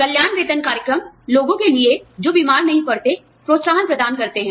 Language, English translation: Hindi, Wellness pay programs are provide, incentives for people, who do not fall sick